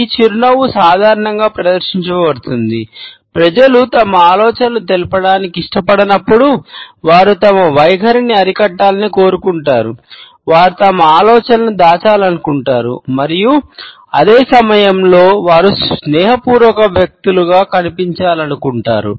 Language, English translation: Telugu, This smile is normally exhibited, when people do not want to opened up with thoughts, they want to restrain their attitudes, they want to conceal their ideas and at the same time they want to come across as affable people